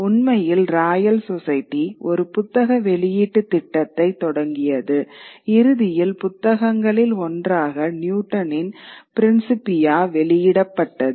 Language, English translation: Tamil, In fact, the Royal Society started a book publishing program which ultimately one of the books that got published was Newton's Principia